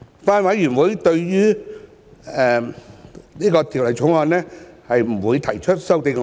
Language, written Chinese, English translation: Cantonese, 法案委員會不會對《條例草案》提出修正案。, The Bills Committee will not propose any amendments to the Bill